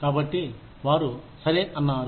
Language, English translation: Telugu, So, they say okay